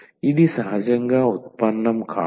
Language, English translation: Telugu, It is not the derivative naturally